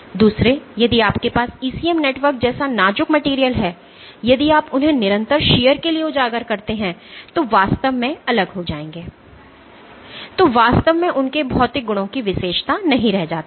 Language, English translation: Hindi, Secondly, if you have fragile materials like ECM networks if you expose them to constant shear they will actually fall apart, then the point of actually characterizing their physical properties no more exists